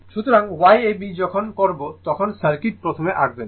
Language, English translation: Bengali, So, Y ab is equal to when you will do this please draw the circuit first right